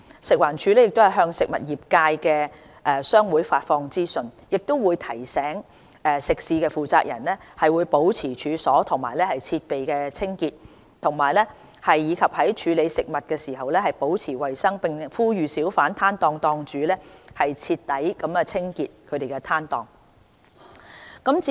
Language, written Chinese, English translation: Cantonese, 食環署亦向食物業界的商會發放資訊，提醒食肆負責人保持處所和設備清潔，以及在處理食物時保持衞生，並呼籲小販攤檔檔主徹底清潔攤檔。, FEHD also disseminates information to the trade associations of the food industry and reminds the operators of food premises to keep their food premises and equipment clean as well as to maintain hygiene practices in handling food . Holders of hawker stalls are also urged to clean up their stalls